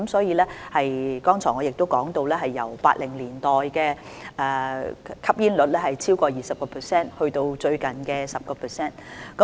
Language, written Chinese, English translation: Cantonese, 我剛才亦提到，本港的吸煙率由1980年代的超過 20% 減至最近的 10%。, I have also just pointed out that smoking prevalence in Hong Kong has dropped from over 20 % in 1980s to 10 % recently